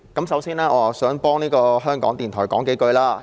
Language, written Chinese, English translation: Cantonese, 首先，我想為香港電台說幾句話。, I would first of all like to say a few words in defence of Radio Television Hong Kong RTHK